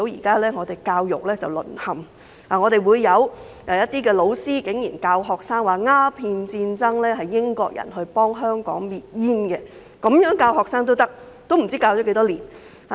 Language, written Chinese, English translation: Cantonese, 正如大家現在可見，竟然有老師教導學生時指鴉片戰爭的起因是英國人想幫香港滅煙，竟然這樣教學生，不知道這樣教了多久。, As Honourable colleagues can see some teachers actually taught students that the cause of the Opium War was Britains intention to destroy opium for Hong Kong . They dare to teach the students in such a way and it is not known for how long it has been going on like this